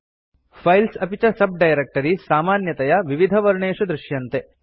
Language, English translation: Sanskrit, Files and subdirectories are generally shown with different colours